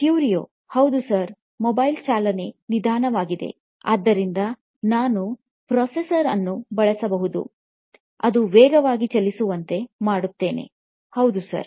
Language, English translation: Kannada, Yes, sir, mobile running slow, so I can use a processor which will make it run faster, yes sir